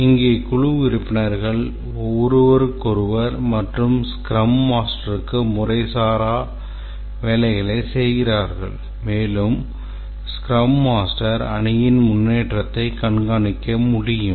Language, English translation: Tamil, Here the team members make informal commitments to each other and to the scrum master and this is the way that the scrum master can track the progress of the team